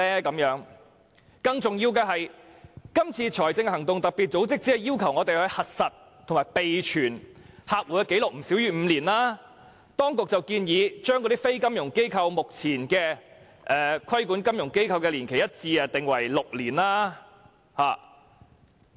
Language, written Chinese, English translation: Cantonese, 更重要的是，今次財務行動特別組織只是要求我們核實和備存客戶的紀錄不少於5年，而當局則建議將規管非金融機構的年期與目前規管金融機構的年期改為一致，訂為6年。, More importantly while the Financial Action Task Force only asks us to verify customers and maintain the records for at least five years the authorities propose to unify the time limit for regulating non - financial institutions and the existing time limit for regulating financial institutions at six years